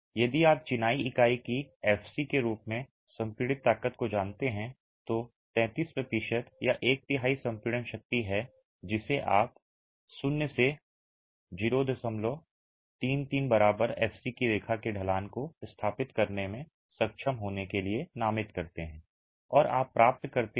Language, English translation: Hindi, So, if you know the compressive strength of the masonry unit as f c, then 33 percent or one third of the compressive strength is the masonry unit as f c then 33 percent or one third of the compressive strength is the point that you designate to be able to establish the slope of the line from 0 to 0